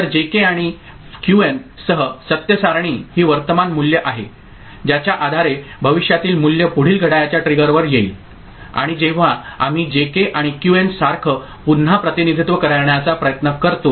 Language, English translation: Marathi, So, truth table with J K and Qn these are current value based on which the future value will be coming at the next clock trigger and when we try to represent again similarly as a function of J K and Qn right